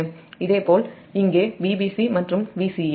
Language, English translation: Tamil, similarly v b, c and v c here